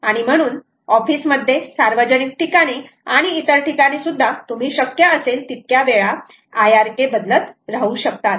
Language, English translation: Marathi, so office environments, public places and all that, you may want to keep modifying the i r k as often as possible